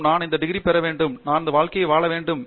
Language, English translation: Tamil, And, it is we want to get these degrees, we want to make good livings